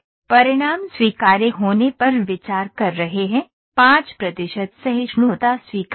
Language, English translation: Hindi, The results are con to consider to be acceptable, the 5 percent tolerance is acceptable